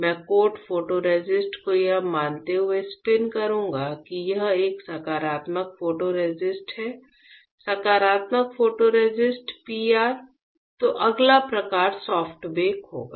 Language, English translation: Hindi, I will spin coat photoresist assuming that let say it is a positive photoresist; positive photoresist PR; then next type would be soft bake right